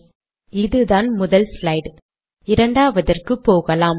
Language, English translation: Tamil, Alright, this is the first slide, lets go to the second one